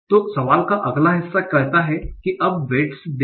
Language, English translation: Hindi, So, the next part of the question says is that now give weights